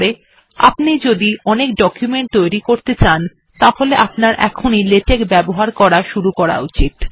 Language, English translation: Bengali, If you are going to create many documents in the rest of your life, it is time you started using Latex